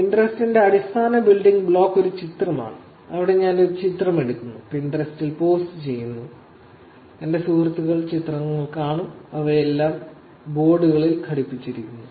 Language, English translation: Malayalam, So, this, the basic building block of Pinterest is an image, where I actually take a picture, post it in Pinterest, my friends get to see the pictures, and they are all attached to boards